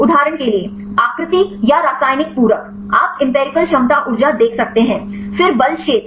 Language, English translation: Hindi, For example, the shape or chemical complementarity; you can see empirical potentials energy, then force field